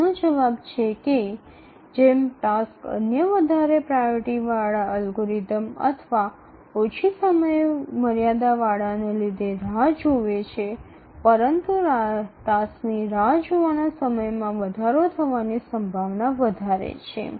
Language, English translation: Gujarati, The answer is that as the task waits because there are other higher priority algorithms or having shorter deadlines they are taken up